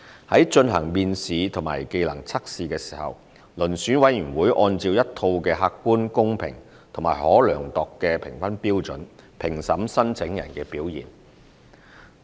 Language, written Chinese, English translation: Cantonese, 在進行面試及技能測試時，遴選委員會按照一套客觀、公平及可量度的評分標準，評審申請人的表現。, In addition the selection board will assess the candidates performance in the selection interview and trade test with reference to a set of objective fair and measurable assessment criteria